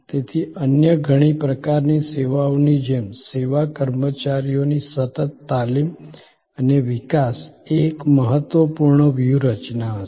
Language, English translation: Gujarati, So, just as for many other types of services, the continuous training and development of service personnel will be an important strategy